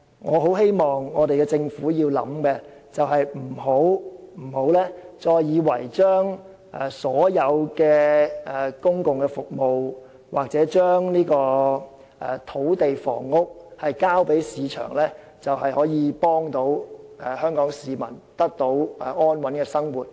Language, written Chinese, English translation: Cantonese, 我希望政府深思的第二點是，千萬不要以為把所有公共服務或土地房屋事宜交給市場處理，便可協助香港市民得到安穩的生活。, The second point which I hope the Government would seriously consider is It should in no way think that it can help Hong Kong citizens lead a stable life by leaving all public services or land and housing matters to the market